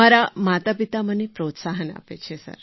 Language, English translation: Gujarati, My parents are very encouraging